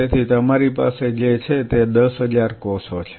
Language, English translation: Gujarati, So, what you are having is 10000 cells